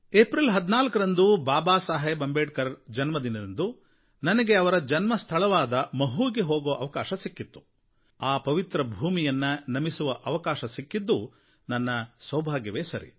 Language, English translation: Kannada, It was my good fortune that on 14th April, the birth anniversary of Babasaheb Ambedkar, I got the opportunity to visit his birthplace Mhow and pay my respects at that sacred place